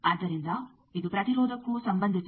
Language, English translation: Kannada, So, it is also related to the impedance